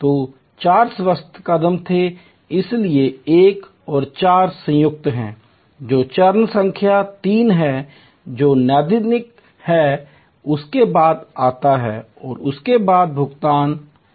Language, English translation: Hindi, So, 4 was hygiene steps, so 1 and 4 are combined, the step which is number 3, which is diagnostic is comes after that and the payment comes after that